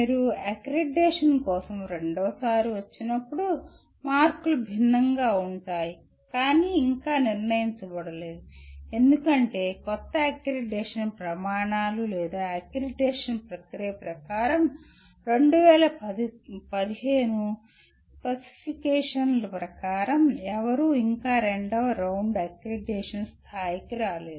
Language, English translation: Telugu, When you come for the second time for accreditation the marks are different but that has not been yet decided because as per the new accreditation criteria or accreditation process no one has yet come to the level of second round accreditation as per the 2015 specifications